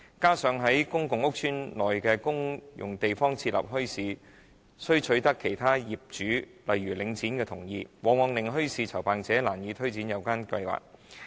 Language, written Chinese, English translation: Cantonese, 加上在公共屋邨內的公用地方設立墟市，需取得其他業主例如領展的同意，往往令墟市籌辦者難以推展有關計劃。, Moreover bazaar organizers find it very difficult to go ahead with bazaar organizing plans as it is required to obtain the consent of other owners such as Link REIT for establishing bazaars in the common areas of PRH estates